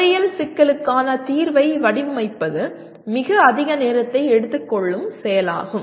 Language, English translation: Tamil, And because designing solution for an engineering problem is a time consuming activity